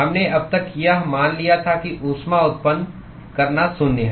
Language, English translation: Hindi, We so far assumed that heat generation is zero